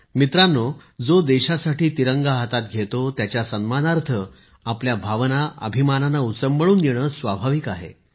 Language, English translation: Marathi, Friends, it is but natural to get emotional in honour of the one who bears the Tricolour in honour of the country